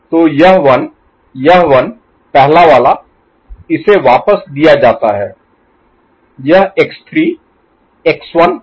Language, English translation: Hindi, So, this one this one, first one it is fed back, this x 3 x 1